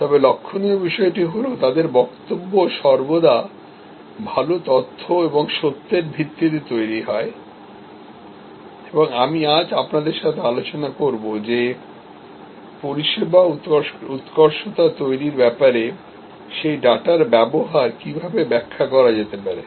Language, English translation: Bengali, But, what is remarkable is that, they are always grounded in good facts and good data and I will discuss with you today that how that data can be interpreted to create service excellence